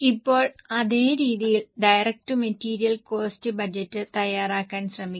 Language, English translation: Malayalam, Now same way try to prepare direct material cost budget